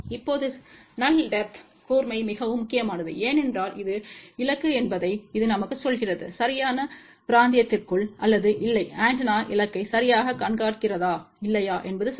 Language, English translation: Tamil, Now, sharpness of null depth is very very important, because this tells us whether the target is within the proper region or not, whether the antenna is tracking the target properly or not ok